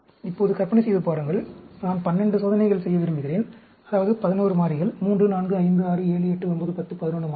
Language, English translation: Tamil, Now, imagine, I have, I want to do 12 experiments; that means, 11 variables; 3, 4, 5, 6, 7, 8, 9, 10, 11 variables